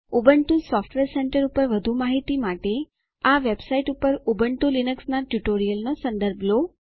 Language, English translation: Gujarati, For more information on Ubuntu Software Centre, please refer to the Ubuntu Linux Tutorials on this website